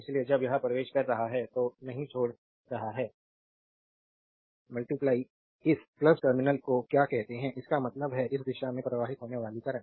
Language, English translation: Hindi, So, not leaving when it is entering into the your what you call this your plus terminal; that means, current flowing in this direction